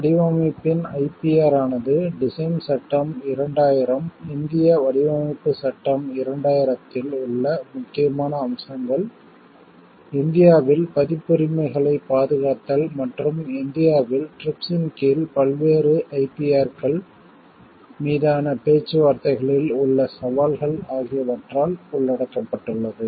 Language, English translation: Tamil, The IPR of design is covered by the Design Act, 2000, important aspects in Indian Design Act 2000, protection of Copyrights in India and challenges in negotiations on various IPRs under TRIPS in India